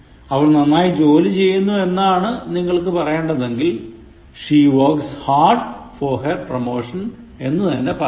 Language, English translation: Malayalam, If you really mean that she is working very hard, then she should say; She works hard for her promotion